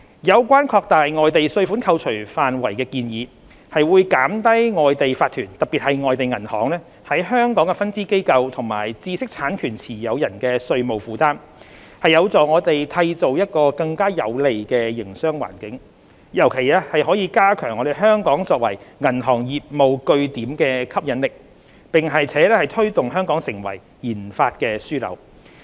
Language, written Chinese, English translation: Cantonese, 有關擴大外地稅款扣除範圍的建議，會減低外地法團的香港分支機構和知識產權持有人的稅務負擔，有助我們締造更有利的營商環境，尤其可加強香港作為銀行業務據點的吸引力，並推動本港成為研發樞紐。, The proposal to expand the scope of foreign tax deduction will reduce the tax liability of the Hong Kong branches of foreign corporations in particular foreign banks and holders of intellectual property . It will help foster a more favourable business environment particularly reinforcing Hong Kongs attractiveness as a banking location and promote Hong Kong as a research and development hub